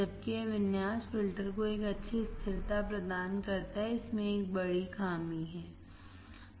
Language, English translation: Hindi, While this configuration provides a good stability to the filter, it has a major drawback